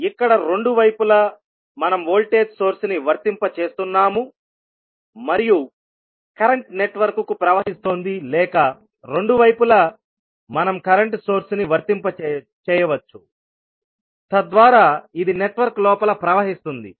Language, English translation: Telugu, Here at both sides we are applying the voltage source and the current is flowing to the network or we can apply current source at both sides so that it flows inside the network